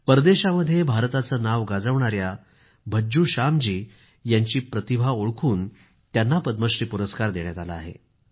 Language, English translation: Marathi, The talent of Bhajju Shyam ji, who made India proud in many nations abroad, was also recognized and he was awarded the Padma Shri